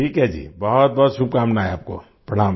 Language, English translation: Hindi, Ok ji, many best wishes to you